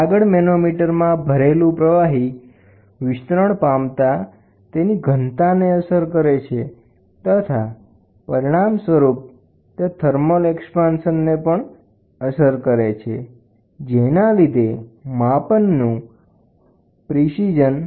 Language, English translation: Gujarati, The next one is the expansion of fluid filled in a manometer affects their density and, in turn, also the thermal expansion of the read out scale, affecting the precision of the measurement